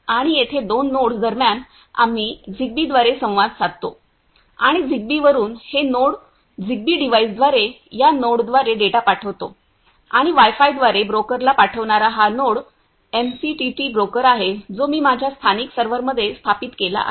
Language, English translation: Marathi, And here between two nodes, we communicate through a Zigbee and from Zigbee, I this node send a data through this node through Zigbee device and this node send through Wi Fi to a broker is MQTT broker which I installed in my local server